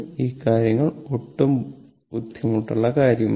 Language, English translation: Malayalam, Things are not at all difficult one, right